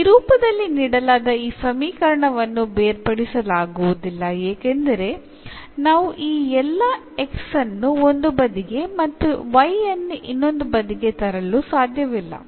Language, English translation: Kannada, So, this equation as such given in this form is not separable because we cannot bring all this x to one side and y to other side